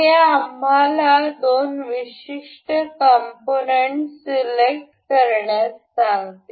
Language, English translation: Marathi, This asks us to select two particular elements